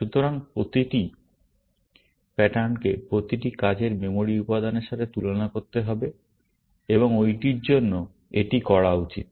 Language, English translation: Bengali, So, every pattern has to be compared with every working memory element, and that is to be done for this